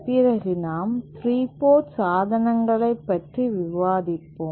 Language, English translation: Tamil, And we shall be discussing about 3 port devices